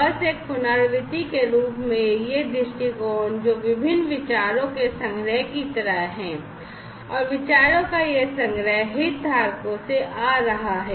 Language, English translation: Hindi, So, just as a recap this viewpoint is something, which is like a collection of different ideas and this collection of ideas are coming from the stakeholders